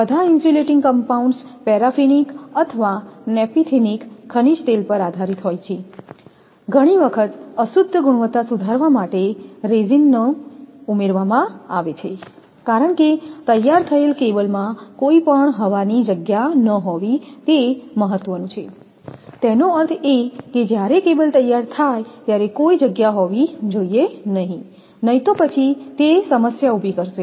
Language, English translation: Gujarati, The insulating compounds are all based on a paraffinic or on a naphthenic mineral oil, resin being often added to improve the impregnating quality since it is important that no air voids should be left in the finished cable; that mean when cable is I mean manufactured there should not be any void, then it will create problem